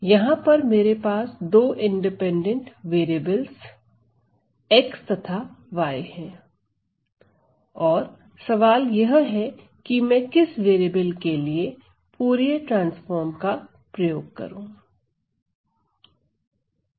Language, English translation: Hindi, So, I have two variable x independent variables x and y this question is for which variable should I use the Fourier transform right